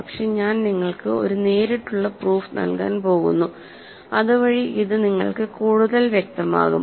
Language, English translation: Malayalam, But I am just going to give you a direct proof, so that it becomes more clear to you